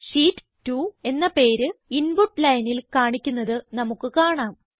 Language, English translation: Malayalam, You see that the name Sheet 2 is displayed on the Input line